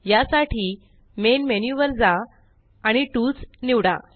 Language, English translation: Marathi, To do this: Go to the Main menu and select Tools